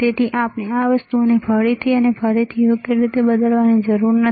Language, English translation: Gujarati, So, we do not have to alter these things again and again right